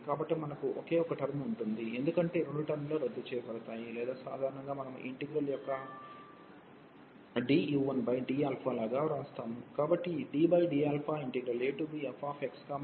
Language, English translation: Telugu, So, we will have only the one term, because these two terms will cancel out or usually we write like d over d alpha of this integral